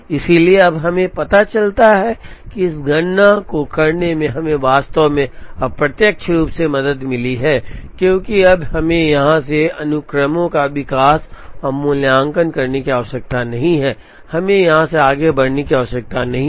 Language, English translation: Hindi, So, now we realize that, doing this computation has helped us actually indirectly, because we now do not have to proceed and evaluate sequences from here, we do not have to proceed from here